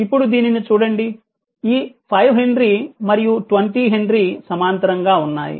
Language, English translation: Telugu, Now look at this, so 5 if you look into that this 5 henry and 20 henry are in parallel